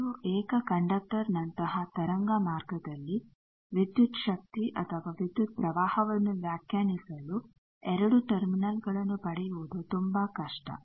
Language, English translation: Kannada, In a 2 single conductor like wave waveguide it is very difficult to get 2 terminals to define voltage or current for voltage you require 2 terminals